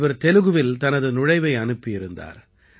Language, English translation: Tamil, She had sent her entry in Telugu